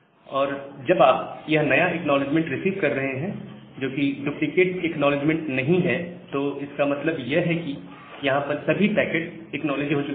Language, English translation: Hindi, And once you are receiving this new acknowledgement, not a duplicate acknowledgement that means, all the packets that was there, that have been acknowledged